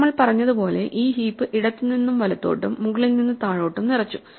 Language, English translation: Malayalam, So, just as we said we filled up this heap left to right, top to bottom right